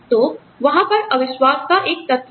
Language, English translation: Hindi, So, there is an element of mistrust